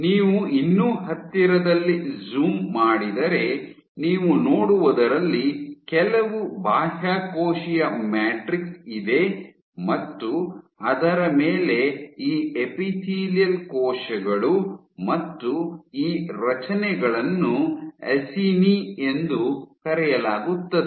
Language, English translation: Kannada, So, if you zoom in even closer, so then what you see is there some extracellular matrix on top of which you have these epithelial cells and these structures are called Acini